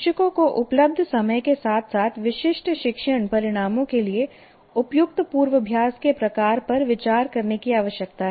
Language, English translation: Hindi, So the teachers need to consider the time available as well as the type of rehearsal appropriate for specific learning outcome